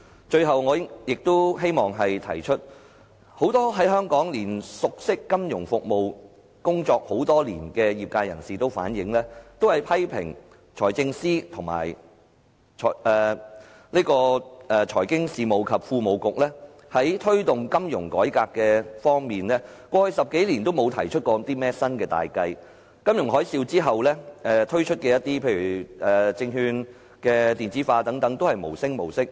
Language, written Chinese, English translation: Cantonese, 最後我亦希望指出，熟悉香港金融服務及工作多年的業界人士都反映及批評財政司及財經事務及庫務局過去10多年，在推動金融改革方面都沒有提出新的大計，而在金融海嘯之後推出的例如證券電子化等項目都是無聲無息。, Lastly I wish to point out that people who know the financial service sector in Hong Kong well and people who have been in the trade for many years have criticized the Financial Secretary and the Financial Services and the Treasury Bureau for failing to launch innovative and major initiatives to promote financial reform over the past decade or more . Besides initiatives concerning electronic trading for securities and so on launched after the financial tsunami have all died down now